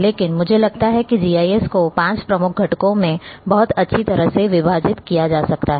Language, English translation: Hindi, But I feel that a we can very well segmented, GIS into five major components, and these components